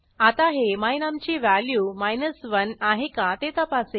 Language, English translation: Marathi, It will now check if the value of my num is equal to 1